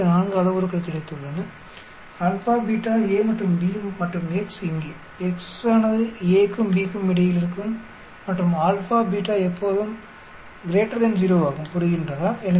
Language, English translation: Tamil, It is got 4 parameters alpha, beta, A and B and x here, x will be lying between A and B and alpha and beta are always greater than 0, understand